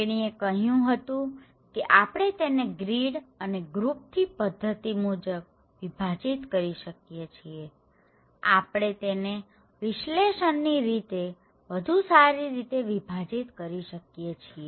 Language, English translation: Gujarati, She was telling that we can do it through the grid and group pattern, we can categorize the culture in order to analyse them better